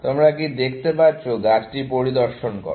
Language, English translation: Bengali, Can you look, inspect the tree